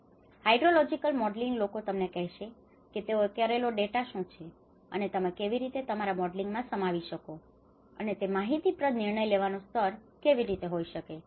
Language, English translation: Gujarati, So, then the hydrological modeling people will tell you, you know what is the data they have done and how you can incorporate that in your modeling and how that can be informative decision making level